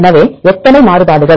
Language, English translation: Tamil, So, how many variations